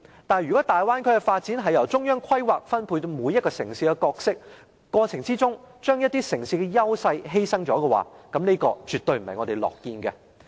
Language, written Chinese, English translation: Cantonese, 但是，如果大灣區的發展由中央規劃，由中央分配每個城市的角色，過程中卻把一些城市的優勢犧牲的話，這絕對不是我們樂見的。, However when the development of the Bay Area is centrally planned and each citys role is centrally assigned the advantages of some cities may be sacrificed during the process . This is absolutely not something we want to see